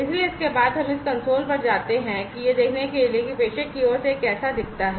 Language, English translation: Hindi, So, after this we go to this console to see that you know how it looks like from the sender side